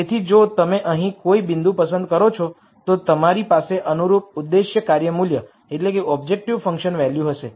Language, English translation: Gujarati, So, if you pick a point here then you would have a corresponding objective function value